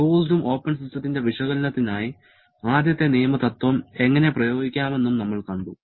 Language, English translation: Malayalam, And we have also seen how to apply the first law principle for both closed and open system analysis